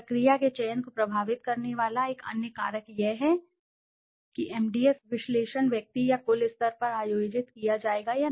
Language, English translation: Hindi, Another factor influencing the selection of the procedure is whether the MDS analysis will be conducted at the individual or the aggregate level